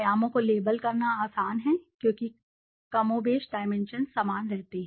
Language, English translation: Hindi, It is easier to label the dimensions because more or less the dimensions remain the same